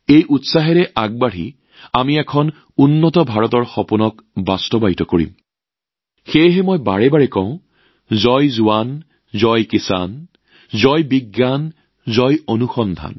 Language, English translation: Assamese, Moving ahead with this fervour, we shall achieve the vision of a developed India and that is why I say again and again, 'Jai JawanJai Kisan', 'Jai VigyanJai Anusandhan'